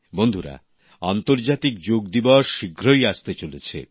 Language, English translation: Bengali, 'International Yoga Day' is arriving soon